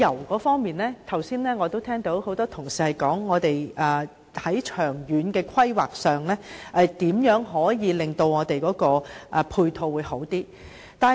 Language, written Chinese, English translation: Cantonese, 我剛才聽到很多同事提及在長遠的規劃上，如何可以令我們的配套做得更好。, Just now I heard many Honourable colleagues talk about how the supporting facilities and measures can be better implemented in long - term planning